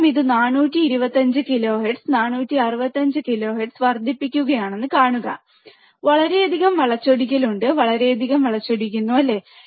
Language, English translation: Malayalam, See he is increasing it 425 kilohertz, 465 kilohertz, you see, there is lot of distortion, lot of distortion, right